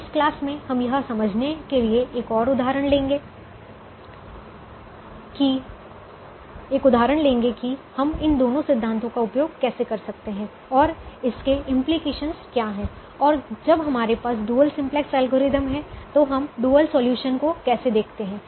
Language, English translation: Hindi, so in the class we will take an example to explain how we can use both these principles and what are the implications and how do we look at the dual solution when we have the dual simplex algorithm or from the dual simplex algorithm